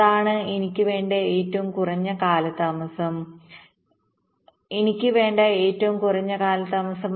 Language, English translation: Malayalam, that is the maximum delay, i want the minimum delay i want